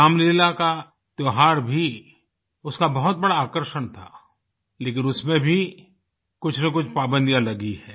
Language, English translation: Hindi, The festival of Ramleela too was one of its major attractions…